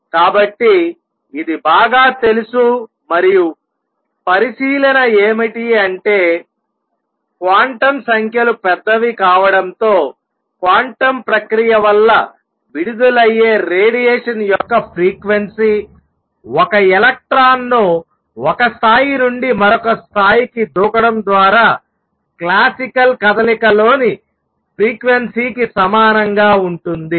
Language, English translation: Telugu, So, this is well known and what the observation was that as quantum numbers become large the frequency of radiation emitted due to quantum process that is by jumping of an electron from one level to the other becomes the same as the frequency in classical motion let us see that